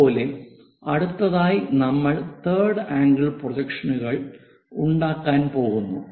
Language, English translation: Malayalam, Similarly, if we are making third angle projections